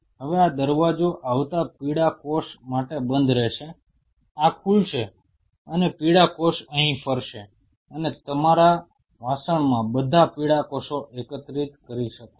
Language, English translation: Gujarati, Now yellow cell coming this gate will remain closed this will open and the yellow cell will move here and you can collect all the yellow cells in your bucket